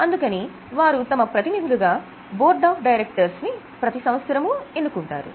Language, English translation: Telugu, So, they appoint their representatives which are known as board of directors, which are elected every year